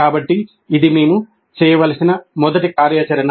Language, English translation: Telugu, So this is the first activity that we should do